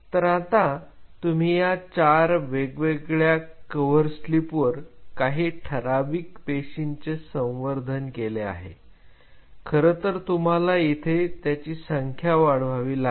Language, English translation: Marathi, Now, you culture the cells a finite number of cells using on four different cover slips, you have to of course, increase their application number